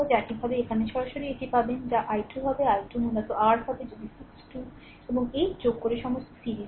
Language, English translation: Bengali, Similarly here directly you will get it what will be i 2; i 2 will be your basically if you add 6 2 and 8 all are in series